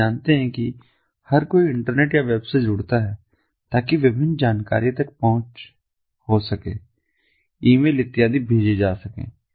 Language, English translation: Hindi, so you know, everybody connects to the internet or the web in order to get access to different information, send emails and so on and so forth